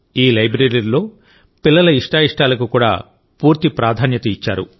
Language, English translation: Telugu, In this library, the choice of the children has also been taken full care of